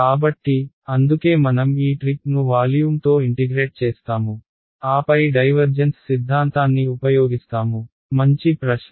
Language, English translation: Telugu, So, that is why we do this trick of integrating over volume then using divergence theorem ok, good question right